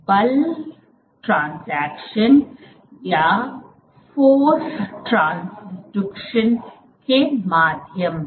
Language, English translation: Hindi, by means of force transduction